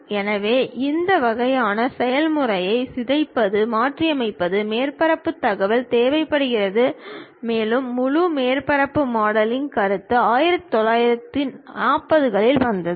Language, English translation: Tamil, So, deforming, riveting this kind of process requires surface information and entire surface modelling concept actually came in those days 1940's